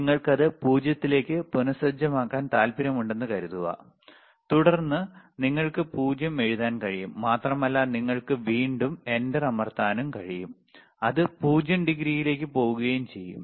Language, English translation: Malayalam, Suppose you want to reset it back to 0, then you can just write 0, 0, and you can again press enter, and it goes to 0 degree